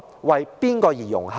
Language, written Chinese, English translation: Cantonese, 為誰而融合？, Who is it meant for?